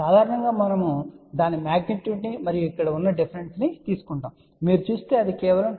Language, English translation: Telugu, Generally we take a magnitude of that and the difference over here if you see it is just about 2